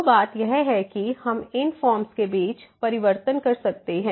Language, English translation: Hindi, So, the point is that we can change between these form